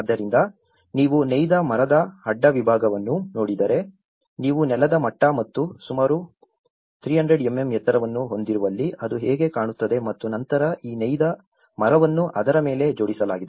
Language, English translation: Kannada, So, if you look at the cross section of the woven timber, so this is how it looks where you have the floor level and about 300 mm height and then this woven timber is fixed upon it